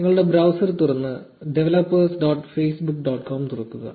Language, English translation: Malayalam, To start open your browser and open developers dot facebook dot com